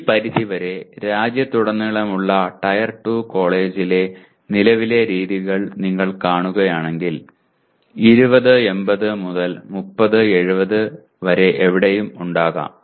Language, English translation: Malayalam, To this extent the present practices in tier 2 college across the country if you see, there could be anywhere from 20:80 to 30:70